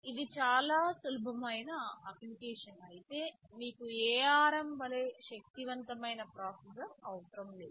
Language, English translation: Telugu, If it is a very simple application you do not need a processor as powerful as ARM